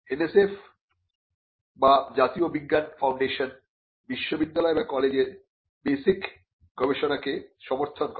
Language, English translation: Bengali, The NSF which is the national science foundation, supports basic research in universities and colleges